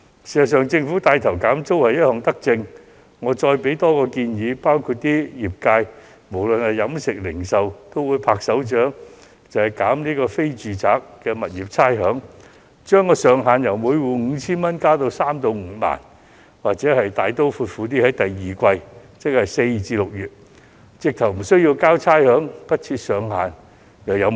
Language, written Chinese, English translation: Cantonese, 事實上，政府帶頭減租是一項德政，我想提供另一項建議，相信飲食業及零售業均會拍掌歡迎，那就是寬減非住宅物業的差餉，將上限由每戶 5,000 元上調至3萬至5萬元，又或大刀闊斧地直接寬免第二季差餉，不設上限。, It is certainly good for the Government to take the lead in rent reduction but I wish to put forward one more suggestion which I believe will be welcomed by the catering and retail industries ie . to grant rates concession to non - domestic properties with the concession ceiling for each property being increased from 5,000 to an amount between 30,000 and 50,000 or to take the bold move to waive the rates for the second quarter directly without setting a ceiling